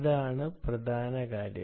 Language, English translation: Malayalam, that is the key point